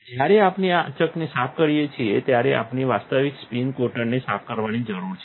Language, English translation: Gujarati, When we have cleaned the chucks we need to clean the actual spin coater